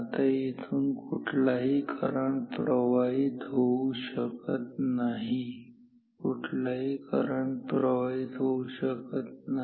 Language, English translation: Marathi, Now, no current can flow here right, no current can flow here and no current can flow here right